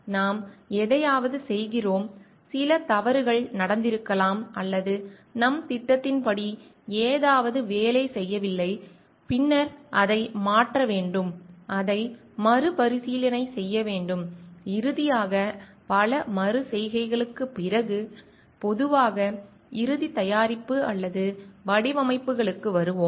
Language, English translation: Tamil, We do something maybe we find certain mistakes have been done or something is not working according to our plan, then we need to change it, retest it and finally, after lot of many of iterations generally we come to the end product or designs